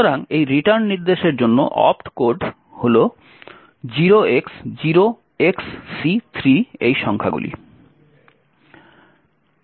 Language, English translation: Bengali, So, the opt code for this return instruction is these numbers 0xc3